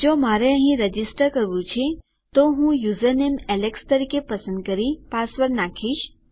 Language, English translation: Gujarati, If I were to register here, let me put the password in and choose the username as alex